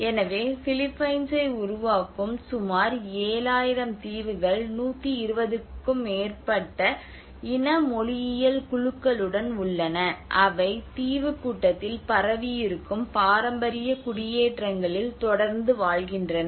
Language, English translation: Tamil, So about 7,000 islands that compromise the Philippines there are over 120 ethnolinguistic groups that continue to inhabit traditional settlements spread out over the Archipelago